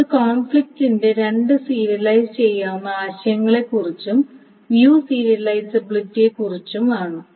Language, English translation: Malayalam, So that is about the two serializable notions of conflict and view serializability